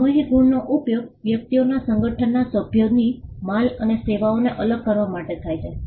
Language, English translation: Gujarati, Collective marks are used for distinguishing goods or services of members of an association of persons